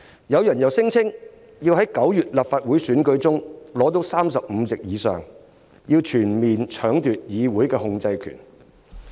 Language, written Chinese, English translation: Cantonese, 有人又聲稱要在9月立法會選舉中奪取35席以上，全面搶奪議會的控制權。, They forbid the Government to speak . Some people claim that they will obtain more than 35 seats in the Legislative Council Election in September and seize full control in the Council